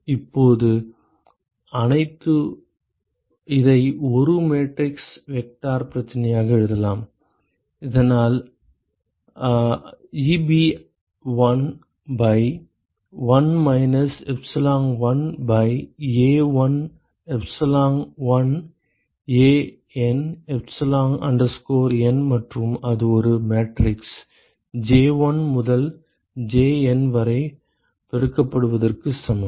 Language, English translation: Tamil, Now I can write this as a matrix vector problem: so that is Eb1 by 1 minus epsilon1 by A1 epsilon1 AN epsilon N and that is equal to we have a matrix multiplied by J1 all the way up to JN